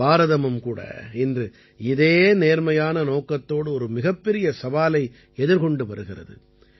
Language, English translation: Tamil, Today, India too, with a noble intention, is facing a huge challenge